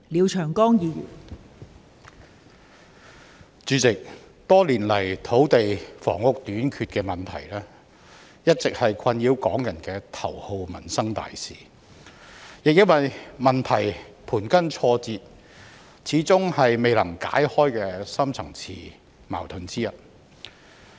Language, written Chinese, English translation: Cantonese, 代理主席，多年來土地房屋短缺的問題，一直是困擾港人的頭號民生大事，亦因為問題盤根錯節，始終是未能解開的深層次矛盾之一。, Deputy President for many years the shortage of land and housing has been the number one livelihood issue that plagued Hong Kong people . Since the problems involved are so intertwined it is also one of the deep - seated conflicts that has remained unsolved